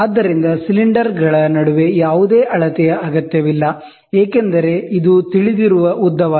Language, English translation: Kannada, So, no measurement is required between the cylinders, since this is a known length